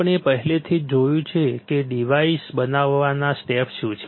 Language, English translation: Gujarati, We have already seen what are the steps for fabricating a device